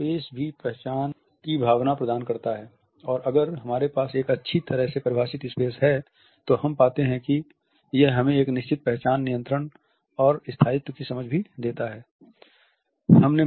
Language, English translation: Hindi, So, the space also imparts a sense of identity and if we have a well defined space around us we find that it also gives us a certain sense of identity control and permanence